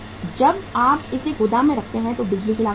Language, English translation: Hindi, When you keep it in the godown, electricity cost is there